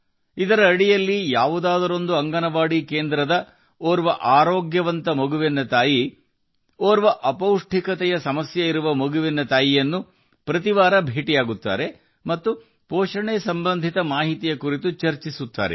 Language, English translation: Kannada, Under this, the mother of a healthy child from an Anganwadi center meets the mother of a malnourished child every week and discusses all the nutrition related information